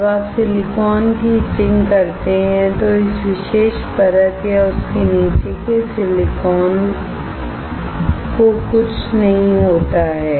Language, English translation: Hindi, When you etch silicon, nothing happens to this particular layer or the silicon below it